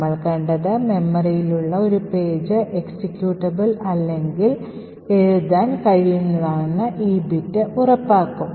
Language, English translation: Malayalam, So, what we have seen is that, this bit would ensure that a particular page in memory is either executable or is writeable